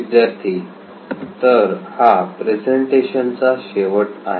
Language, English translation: Marathi, So this is the end of the presentation